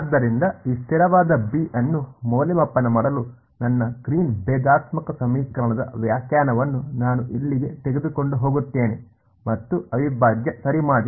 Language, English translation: Kannada, So, to evaluate this constant b, I am going to take my definition of my Green’s differential equation over here and do an integral ok